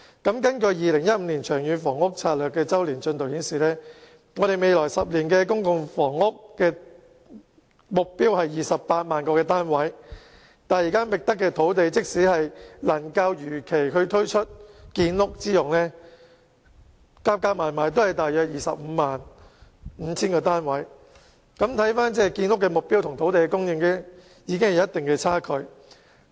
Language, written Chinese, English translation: Cantonese, 根據《長遠房屋策略》2015年周年進度報告，未來10年的公營房屋供應目標是28萬個單位，但即使現已覓得的土地能如期推出作建屋之用，亦只能興建約 255,000 個公營房屋單位，可見建屋目標與土地供應存在一定的距離。, According to the Long Term Housing Strategy Annual Progress Report 2015 the PRH supply target for the next 10 years will be 280 000 units . However even if all sites identified can be used for housing construction as scheduled only about 255 000 PRH units can be produced . From this we can see that there is a shortfall between the housing supply target and the land supply